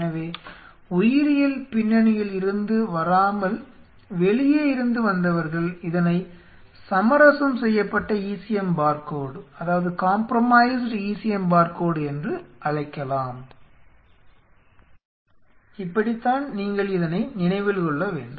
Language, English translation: Tamil, So, for those who are from outside biology you can call it as the compromised ECM barcode this is how you should remember it the barcode has been compromised